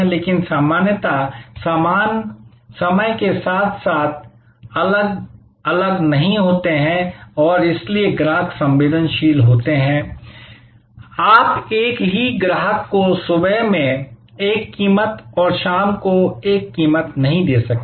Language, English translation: Hindi, But, normally goods do not vary with respect to time and therefore, customers are sensitive, you cannot charge the same customer one price in the morning and one price in the evening